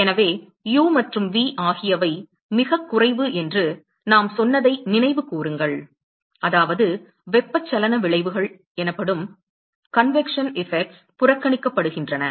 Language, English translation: Tamil, So, remember that we said that the u and v are negligible, which means that the convection effects are ignored